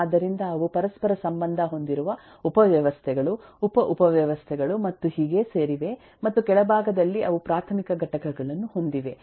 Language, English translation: Kannada, so they are composed of interrelated subsystems, sub subsystems and so on, and at the bottom they have the elementary components and we can understand